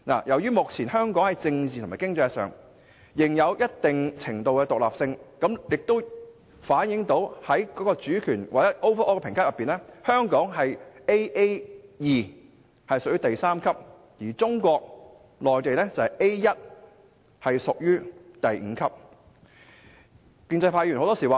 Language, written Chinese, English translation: Cantonese, 香港目前在政治及經濟上仍有一定程度的獨立性，這反映了在整體評級之上：香港的評級為 Aa2， 屬第三級，而中國內地的評級為 A1， 屬第五級。, As Hong Kong still enjoys a certain level of political and economic independence the fact has been reflected on its overall rating Hong Kongs rating is Aa2 at Level 3 whereas Mainland Chinas rating is A1 at Level 5